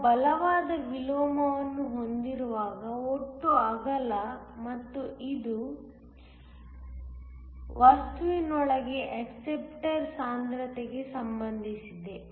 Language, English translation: Kannada, The total width when we have strong inversion and this is related to the concentration of the acceptors within the material